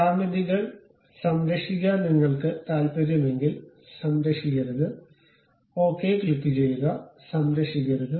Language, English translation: Malayalam, If you are not interested in saving geometries, do not save, click ok, do not save